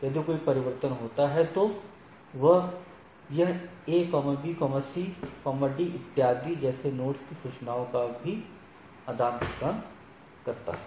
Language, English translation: Hindi, So, if there is a change, then it also exchange the thing, like A B C D etcetera